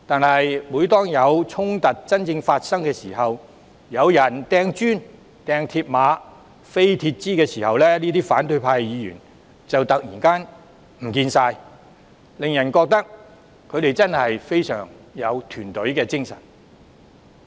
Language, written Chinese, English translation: Cantonese, 然而，每當發生真正衝突，有人擲磚頭、鐵馬、鐵枝時，反對派議員就會突然不見蹤影，令人覺得他們真的非常有團隊精神。, Every time when real clashes broke out however the opposition Members would all of a sudden be nowhere to be found amid the flying bricks mills barriers and metal bars . The level of team spirit they orchestrated was impressive indeed